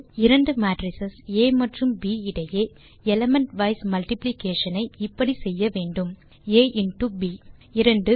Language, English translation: Tamil, Element wise multiplication between two matrices, A and B is done as, A into B 2